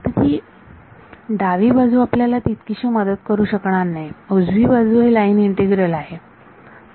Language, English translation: Marathi, So, the left hand side is not going to help us very much, the right hand side is a line integral